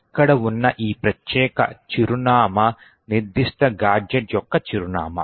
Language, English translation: Telugu, This particular address over here is the address of the particular gadget